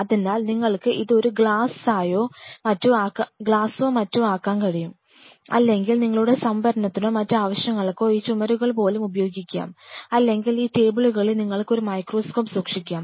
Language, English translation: Malayalam, So, they can you can make it a glass or something, or you can use even these walls for your storage or other purpose or you can keep a microscope on this tables suppose you are splitting the whole facility into 2 parts